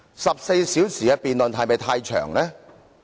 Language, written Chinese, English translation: Cantonese, 14小時的辯論是否過長？, Is a 14 - hour debate too long?